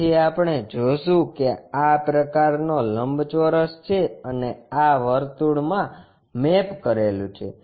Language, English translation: Gujarati, So, what we will see is such kind of rectangle and this one mapped to a circle